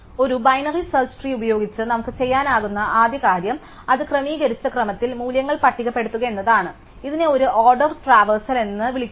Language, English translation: Malayalam, So, the first thing that we can do with a binary search tree is to list out its values in sorted order, this is called a in order traversal